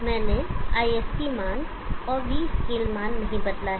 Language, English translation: Hindi, 1 I have not change the ISC value and the V scale value